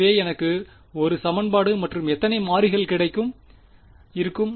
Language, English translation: Tamil, So, I will have 1 equation how many variables